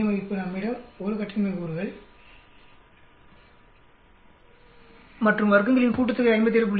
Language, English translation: Tamil, Between we have a degrees of freedom of 1 and the sum of squares is 57